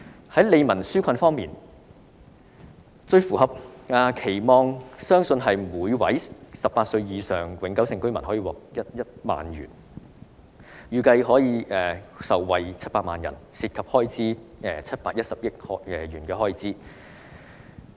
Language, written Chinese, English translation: Cantonese, 在利民紓困方面，最符合市民期望的相信是每位18歲或以上的永久性居民獲得1萬元，預計700萬人受惠，涉及開支710億元。, As regards relieving peoples burden I believe the measure which can live up to the publics expectation most is the cash handout of 10,000 to all permanent residents aged 18 or above . It is estimated that 7 million people will benefit from the measure entailing an expenditure of 71 billion